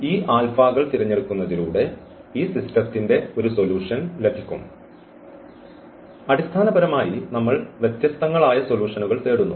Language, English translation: Malayalam, So, that will be one solution of this system by choosing this alphas basically we are looking for different different solutions